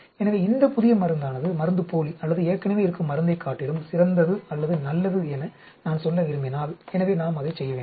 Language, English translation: Tamil, So, if I want to say, this new drug is better or as good with respect to placebo or existing drug, so we need to do that